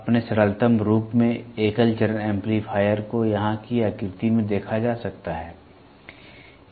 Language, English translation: Hindi, The single stage amplifier in its simplest form can be seen in the figure here